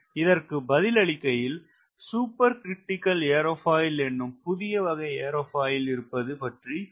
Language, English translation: Tamil, and when you answer this question you find the new generation of aerofoil, supercritical aerofoil, came into existence